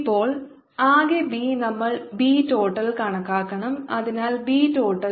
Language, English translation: Malayalam, we have to calculate b tot, so b total